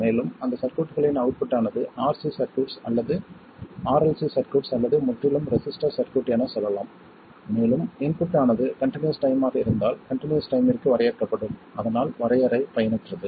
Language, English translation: Tamil, And the output of those circuits let's say RC circuit or RLC circuit or just a purely resistive circuit, will also be continuous valued and will be defined for continuous time if the input is continuous time